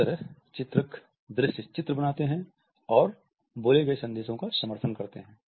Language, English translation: Hindi, So, illustrators create visual images and support spoken messages